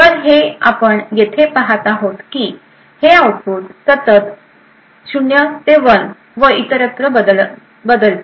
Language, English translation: Marathi, So, what we see is happening here is that this output continuously changes from 0 to 1 and so on